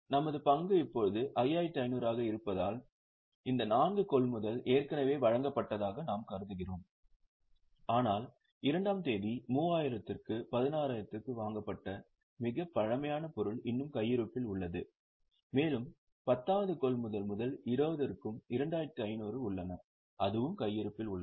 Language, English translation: Tamil, Since our stock is now 5,500, we assume that these four purchases are already issued but the oldest item which is purchased on second at 3,000 at 16 is still in stock and there are another 2,500 from 10th purchase at 20 that is also in stock